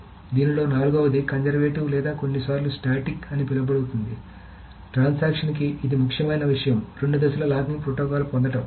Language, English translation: Telugu, So the fourth one in this is called the conservative or sometimes called the static two phase locking protocol